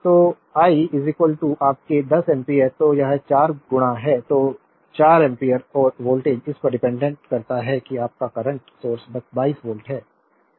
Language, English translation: Hindi, And I is equal to your 10 amperes so, it is 4 into I so, 4 ampere and voltage across this your dependent current source is 22 volt